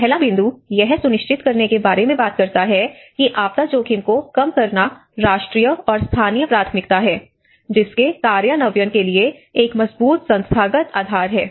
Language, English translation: Hindi, The first point talks about ensure that disaster risk reduction is a national and the local priority with a strong institutional basis for implementation